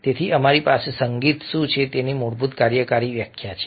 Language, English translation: Gujarati, so we have a basic working definition of what music is